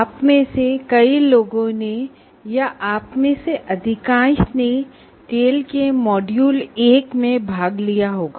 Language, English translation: Hindi, Many of you or most of you would have participated in the module 1 of tail